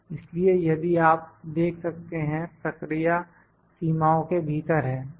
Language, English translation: Hindi, So, now the process if you can see, the process is in within the limits